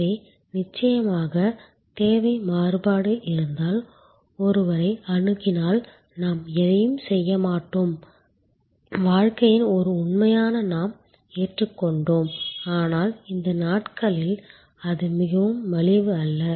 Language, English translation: Tamil, So, of course, therefore, if there is a demand variation one approaches we do nothing we accepted as a fact of life and, but that is not very affordable these days